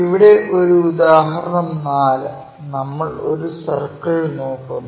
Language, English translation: Malayalam, Here, as an example 4, we are looking at a circle